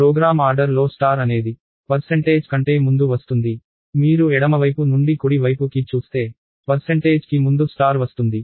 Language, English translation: Telugu, So, star comes before percentage in the program order, if you look at it from left to right star comes before percentage